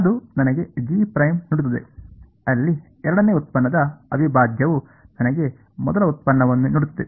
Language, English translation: Kannada, It will give me G dash, there integral of the second derivative will give me first derivative right